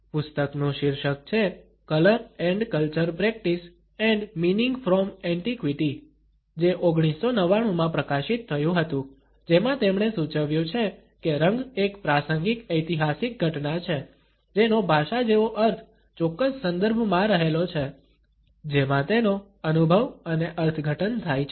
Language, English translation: Gujarati, The title of the book is Color and Culture Practice and Meaning from Antiquity to Abstraction published in 1999, wherein he has suggested that color is a contingent historical occurrence whose meaning like language lies in the particular context in which it is experienced and interpreted